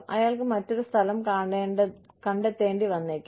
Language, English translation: Malayalam, He may need to find, another place